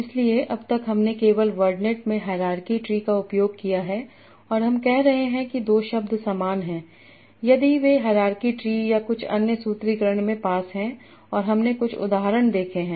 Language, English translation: Hindi, So, till now we have only used the hierarchy tree in word and I am saying two words are similar if they are nearby in the hierarchy tree or some other formulation and that we have seen some examples